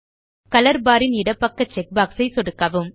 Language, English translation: Tamil, Left click the checkbox to the left of the color bar